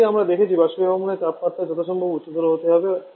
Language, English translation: Bengali, As we have seen the evaporation temperature has to be as it as possible